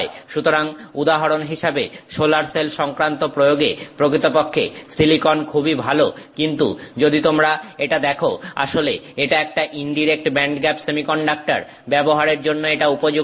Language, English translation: Bengali, So, for example, silicon is actually used quite a bit for solar cell applications but in fact if you look at it it is an indirect band gap semiconductor